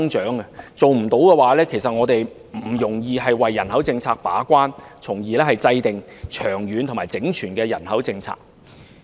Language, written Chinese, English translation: Cantonese, 如果做不到這一點，我們便不容易為人口政策把關，從而制訂長遠和整全的人口政策。, Failing to do so will make it difficult for us to serve the gatekeeping role on the population policy and in turn formulate a long - term and comprehensive policy in this respect